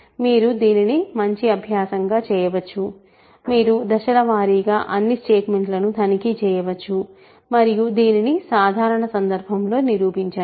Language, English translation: Telugu, So, you can do this as a good exercise, you can step by step check all the statements and prove it in this general case